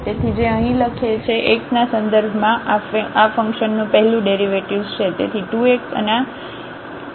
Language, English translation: Gujarati, So, that is the first derivative of this function with respect to x which is written here